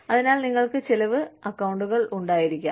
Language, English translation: Malayalam, So, you could have spending accounts